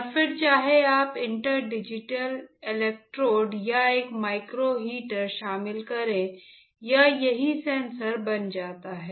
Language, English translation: Hindi, And then whether if you include inter digitated electrodes or a micro heater it becomes a sensor right